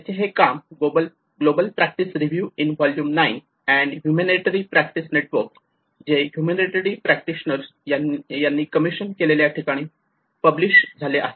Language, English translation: Marathi, And it is published in the global practice review in volume 9 and Humanitarian Practice Network which has been commissioned by the humanitarian practitioner